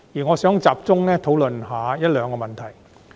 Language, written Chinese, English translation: Cantonese, 我想集中討論一兩個問題。, I would like to focus on a question or two